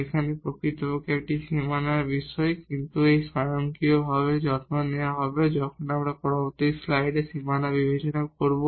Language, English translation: Bengali, Here indeed this is the point on the boundary, but that will be automatically taken care when we will consider the boundary in the next slide